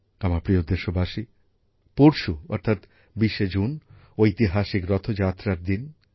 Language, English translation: Bengali, the 20th of June is the day of the historical Rath Yatra